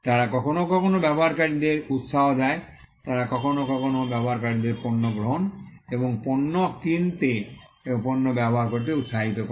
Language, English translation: Bengali, They sometime encourage users; they sometimes encourage users to take up and to buy the product and to use the product